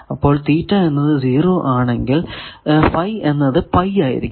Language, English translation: Malayalam, So, if theta is equal to 0 and phi is equal to phi